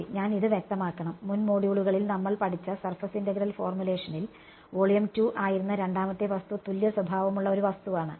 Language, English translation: Malayalam, Right so, I should clarify this, in the surface integral formulation which we have studied in the previous modules, the object the second object that was volume 2 was a homogeneous object ok